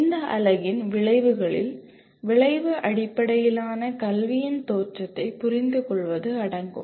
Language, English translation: Tamil, The outcomes of this unit include understand the origins of outcome based education